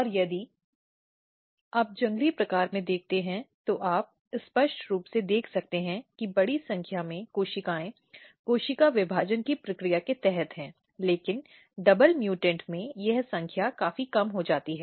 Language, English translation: Hindi, And if you look in the wild type, you can clearly see that large number of cells are under the process of cell division, but in double mutant this number is significantly reduced